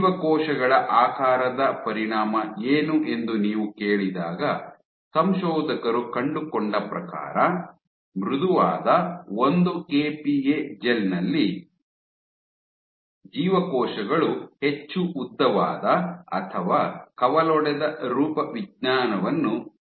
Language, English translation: Kannada, So, when you ask what is the shape of the cells what the authors found was on the softest 1 kPa gel, the cells had a more elongated or a branched morphology